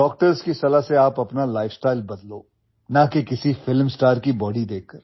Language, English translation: Hindi, You should change your lifestyle on the advice of doctors and not by looking at the body of a film star